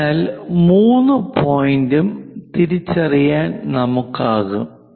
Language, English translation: Malayalam, So, we will be in a position to identify point 3 also